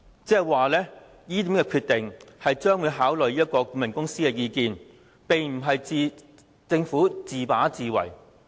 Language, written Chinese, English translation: Cantonese, 言下之意，這個決定考慮了顧問公司的意見，並非政府自把自為。, The implication was that the Government made the decision after considering the opinions of the consultants and it did not act arbitrarily